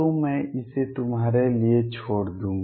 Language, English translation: Hindi, So, I will leave that for you